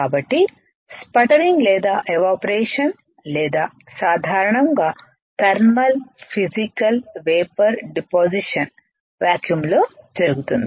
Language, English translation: Telugu, So, sputtering or evaporation or in general thermal Physical Vapor Deposition is usually done in a vacuum